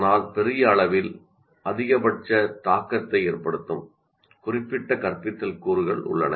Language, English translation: Tamil, But by and large, there are certain instructional components that will have maximum impact